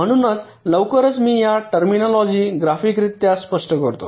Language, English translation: Marathi, so i shall be explaining these terminologies graphically very shortly